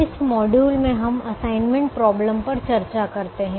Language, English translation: Hindi, in this module we discuss the assignment problem